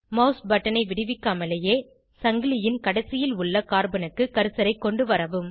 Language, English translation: Tamil, Without releasing the mouse button, bring the cursor to the carbon present at the other end of the chain